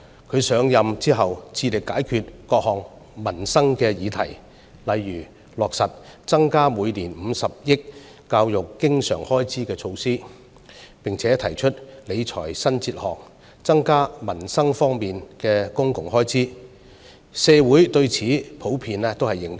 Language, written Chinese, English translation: Cantonese, 她上任後致力解決各項民生議題，例如落實增加每年50億元教育經常開支的措施，並且提出理財新哲學，增加民生方面的公共開支，社會對此普遍認同。, Since assumption of office she has been committed to solving various livelihood issues such as increasing the recurrent expenditure on education by 5 billion per annum . Public expenditures on peoples livelihood have increased under her new financial philosophy which is generally recognized by society